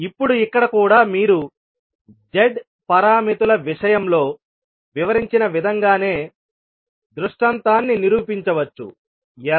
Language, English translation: Telugu, Now here also you can prove the particular scenario in the same way as we explained in case of Z parameters, how